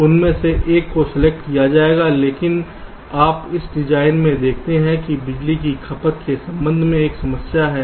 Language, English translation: Hindi, but you see, in this design there is a problem with respect to power consumption